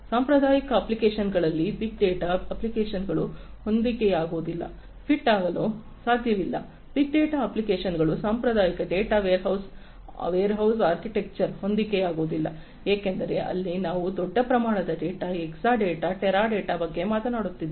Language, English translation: Kannada, Big data apps cannot be fit in traditional applications, cannot be fit big data applications cannot be fit in traditional data warehouse architectures because here we are talking about large volumes of data, Exadata, Teradata and so on